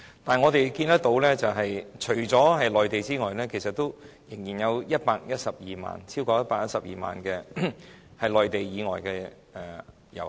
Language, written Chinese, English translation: Cantonese, 不過，我們看到，除了內地遊客，其實仍然有超過112萬名內地以外的遊客。, That said we have seen that apart from the Mainland visitors actually there are still over 1.12 million visitors from places outside the Mainland